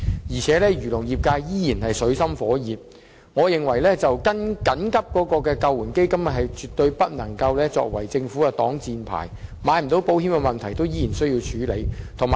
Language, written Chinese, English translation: Cantonese, 漁農業界仍處於水深火熱中，我認為緊急救援基金絕對不能作為政府的擋箭牌，漁農業界未能購買保險的問題仍需要處理。, The agriculture and fisheries industry is still in dire straits . I hold that the Government should no longer hide behind the Emergency Relief Fund and the problem concerning the industrys difficulties in taking out insurance must still be resolved